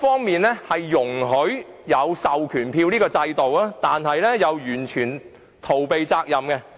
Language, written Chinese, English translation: Cantonese, 《條例》容許授權書制度，但又完全逃避監管的責任。, The Ordinance permits the proxy form system but totally evades the regulatory responsibility